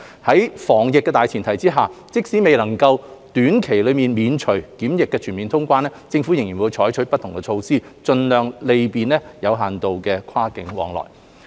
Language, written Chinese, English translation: Cantonese, 在防疫的大前提下，即使未能在短期內免除檢疫全面通關，政府仍會採取不同措施盡量便利有限度的跨境往來。, On the premise of combating the epidemic the Government will endeavour to facilitate limited cross - boundary flow of people through different means in the absence of quarantine - free travel in the short term